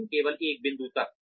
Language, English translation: Hindi, But, only up to a point